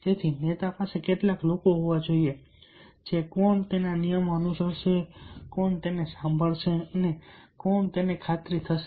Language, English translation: Gujarati, so a leader must have some people who will follow, who will listen, who will get convinced